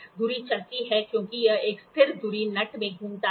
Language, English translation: Hindi, The spindle moves as it rotates in a stationary spindle nut